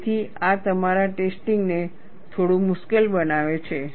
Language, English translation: Gujarati, So, this makes your testing also a bit difficult